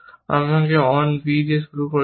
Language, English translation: Bengali, Then, you achieve on a b